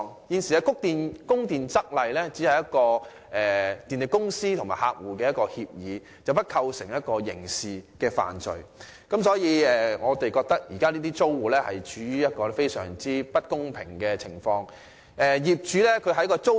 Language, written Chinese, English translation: Cantonese, 現行的《供電則例》只屬電力公司和客戶之間的協議，並不會構成刑事罪，所以我們認為這些租戶處於一個非常不公平的位置。, The existing Supply Rules is just an agreement between the power company and its client and no violations of such Rules will constitute any criminal offenses . Therefore we think that the tenants of subdivided units are treated unfairly